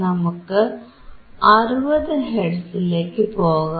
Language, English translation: Malayalam, Let us go to 60 hertz